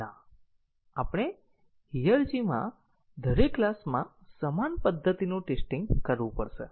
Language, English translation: Gujarati, No, we have to test the same method in every class in the hierarchy